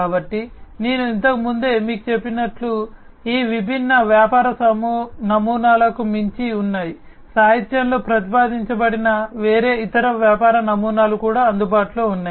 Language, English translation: Telugu, So, as I was telling you earlier; so there are beyond these different business models, there are different other business models, that are also available, that have been proposed in the literature